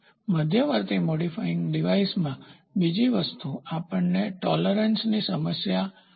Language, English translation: Gujarati, The other thing in the intermediate modifying device, we will have tolerance problem